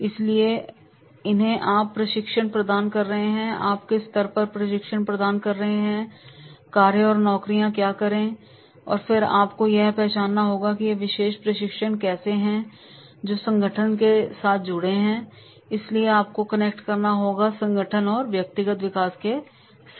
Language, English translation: Hindi, So to whom you are providing the training, what level you are providing the training, what are the tasks or jobs are there and then you have to also identify that is how this particular training that is connected to the organization development